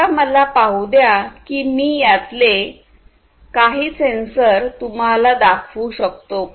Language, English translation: Marathi, Now, let me see if I can show you some of these different sensors